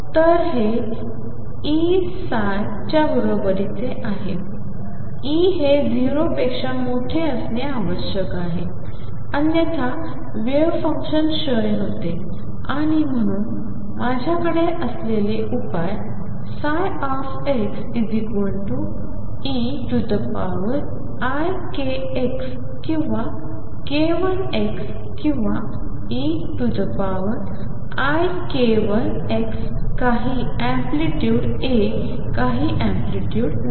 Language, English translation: Marathi, So, this is equal to E psi, E has to be greater than 0, otherwise the wave function decays and therefore, the solutions that I have are psi x equals e raised to i k let me call it k 1 x or e raised to minus i k 1 x some amplitude A, some amplitude B